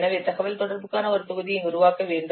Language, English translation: Tamil, So you have to develop also a module for communication